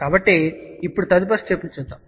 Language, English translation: Telugu, So now, let us see the next step